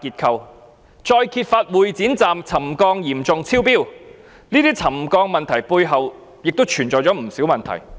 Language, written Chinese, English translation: Cantonese, 其後再揭發會展站沉降嚴重超標，這些沉降的問題背後亦存在不少問題。, Subsequently it was further exposed that settlement at Exhibition Centre Station had far exceeded the limit . These occurrences of settlement have pointed to many underlying problems